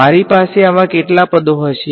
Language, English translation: Gujarati, How many such terms will I have